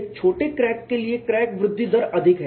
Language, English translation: Hindi, Crack growth rate is high for a short crack